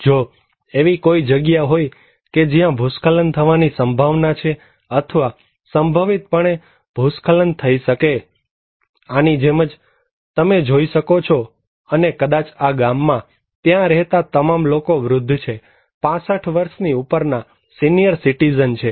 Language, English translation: Gujarati, If in a place that is prone to landslides or potentially to have a landslide, like this one you can see and maybe in this village, the all people living there are old people; senior citizens above 65 years old